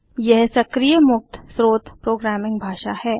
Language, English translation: Hindi, It is dynamic, open source programming language